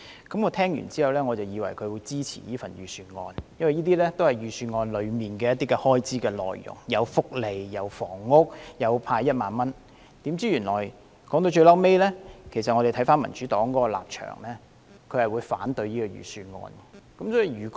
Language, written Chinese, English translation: Cantonese, 聽畢他的發言，我以為他會支持這份財政預算案，因為這些都是預算案中有關開支的內容，包括福利、房屋和派發1萬元的措施，豈料說到最後，民主黨的立場是反對這份預算案。, Judging from his speech I thought he will support this Budget because all these expenditures are covered in the Budget including welfare housing and the 10,000 cash handout . Surprisingly in the end the Democratic Partys position is against this Budget